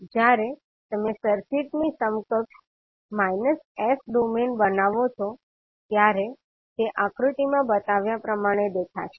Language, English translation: Gujarati, So when you create the s minus domain equivalent of the circuit, it will look like as shown in the figure